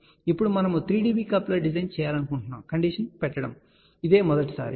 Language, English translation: Telugu, Now, this is the first time we are putting a condition that we want to design 3 dB coupler